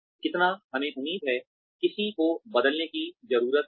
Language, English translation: Hindi, How much, we need to expect, somebody to change